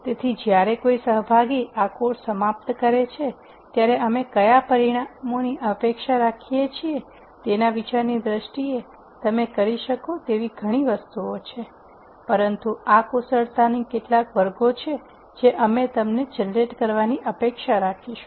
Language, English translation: Gujarati, So, in terms of an idea of what outcomes we would expect when a participant finishes this course there are many things that you can do, but these are some categories of skills that that we would expect you to generate